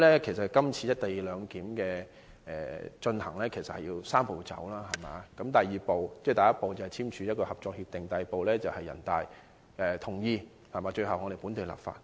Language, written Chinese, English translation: Cantonese, 今次落實"一地兩檢"採取"三步走"的安排，第一步是簽署《合作安排》，第二步是人大同意，最後一步是本地立法。, The first step is signing the Co - operation Arrangement . The second step is approval of the National Peoples Congress NPC . The last step is enacting local legislation